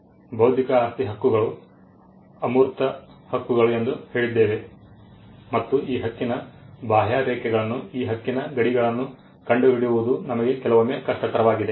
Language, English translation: Kannada, Now we said that intellectual property rights are intangible rights and it is sometimes difficult for us to ascertain the contours of this right the boundaries of this right